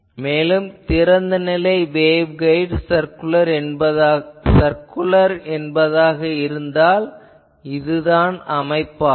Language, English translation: Tamil, So, if you have an open ended waveguide circular, then this becomes the pattern